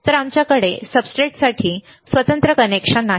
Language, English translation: Marathi, So, we do not have a separate connection for the substrate